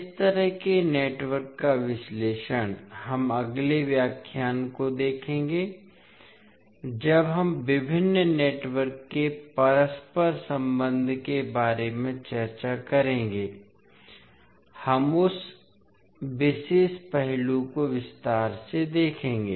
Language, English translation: Hindi, So analysis of these kind of networks we will see the next lecture when we discuss about the interconnection of various networks, we will see that particular aspect in detail